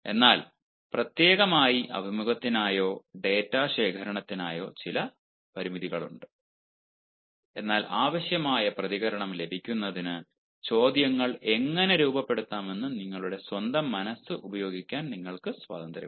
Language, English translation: Malayalam, but specially for ah interview or for data collection ah there are certain limitations, but then you are free to use your own mind as how to frame questions in order to get the required response